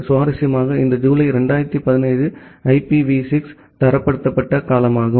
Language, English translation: Tamil, Interestingly it is July 2017 is the time when IPv6 was standardized